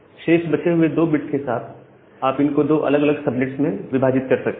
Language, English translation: Hindi, And now, with the remaining 2 bit, you can always divide it into two different subnets